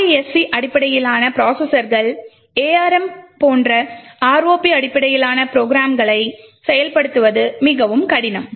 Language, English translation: Tamil, In RISC type of processors like ARM implementing ROP based programs is much more difficult